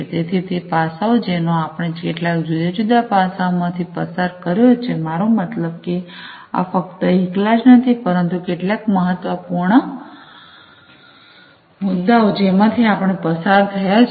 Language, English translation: Gujarati, So, those aspects we have gone through some of the different aspects I mean these are not the only ones, but some of the important ones we have gone through